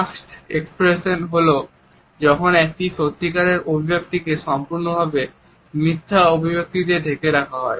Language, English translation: Bengali, A masked expression is when a genuine expression is completely masked by a falsified expression